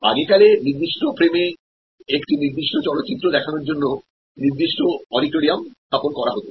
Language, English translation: Bengali, Earlier there was to be fixed auditorium showing one particular movie for in the same frame of time in a particular frame of time